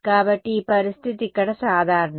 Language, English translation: Telugu, So, this situation is general over here